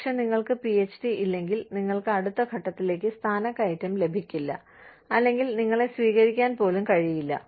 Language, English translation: Malayalam, But, if you do not have a PhD, you will not be promoted to the next level, or, you may not even be taken in